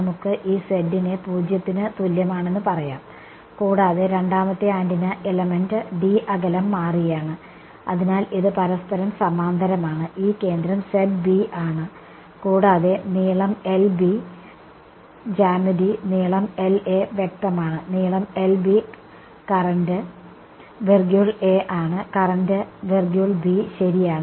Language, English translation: Malayalam, Let us call this z equal to 0 and second antenna element over here space apart by d, but its parallel to each other, this center is at Z B and the length is minus L B by 2 L B by 2 L A by 2 L A by 2 right, geometry is clear length L A length L B current is I A, current is I B ok